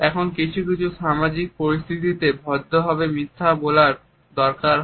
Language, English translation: Bengali, Now there are certain social situations where a polite lie is perhaps expected